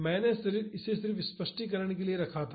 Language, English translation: Hindi, I just kept it for clarification